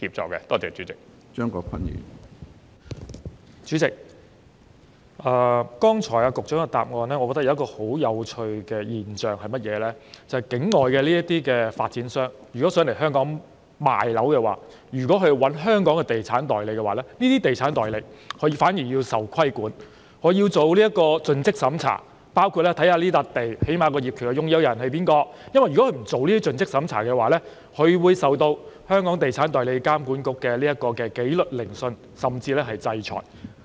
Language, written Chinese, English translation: Cantonese, 主席，我覺得局長剛才的主體答覆提及一個很有趣的現象，就是有意來港銷售樓宇的境外發展商如聘用香港的地產代理，這些地產代理反而要受規管，須進行盡職審查，最低限度要查看誰是這幅地的業權擁有人，如果不進行盡職審查，他便須接受監管局的紀律聆訊甚至制裁。, President I found that a very interesting phenomenon was mentioned in the main reply given by the Secretary earlier and that is if overseas property developers intending to sell properties in Hong Kong hire estate agents in Hong Kong these agents are nevertheless subject to regulation and are required to perform due diligence by at least looking up the identity of the title owner of the site in question . If they failed to perform due diligence they would be subject to disciplinary hearings and even sanctions by EAA